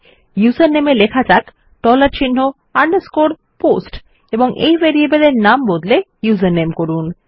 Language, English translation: Bengali, Well set user name as dollar sign underscore POST and rename the variable which is username